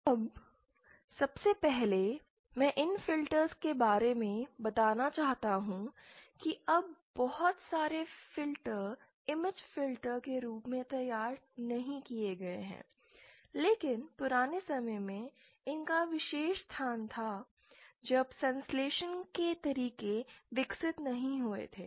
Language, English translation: Hindi, Now first thing that I want to state about these filters is that now a day’s not many of the filters that are designed, are designed as image filters, but they had a special place in the olden days when synthesis methods were not that developed